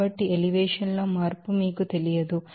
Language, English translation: Telugu, So, there is no you know change in elevation